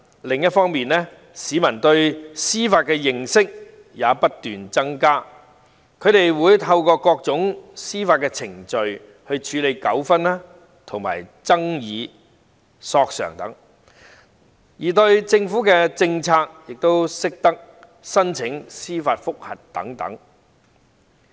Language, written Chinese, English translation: Cantonese, 另一方面，隨着市民對司法的認識不斷增加，他們會透過各種司法程序處理糾紛、爭議和索償等，亦懂得就政府政策提出司法覆核。, On the other hand as people have gained an increasing knowledge in judiciary matters they will resort to different judicial proceedings to settle conflicts disputes or claims and even seek judicial review against government policies